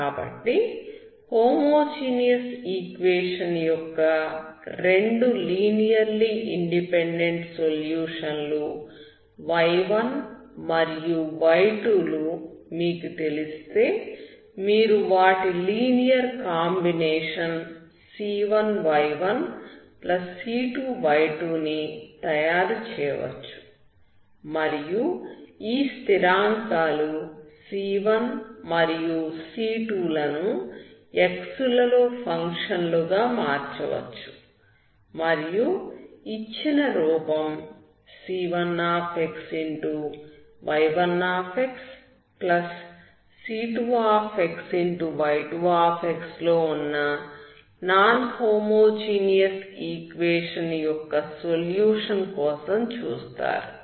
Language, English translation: Telugu, So if you know y1 and y2 which are two linearly independent solutions of the homogeneous equation, you can make a linear combination of this that is c1 y1+c2 y2 and then vary this constants, c1, and c2 as a functions of x, and you look for the solution of the non homogeneous equation in the given form c1 y1+c2 y2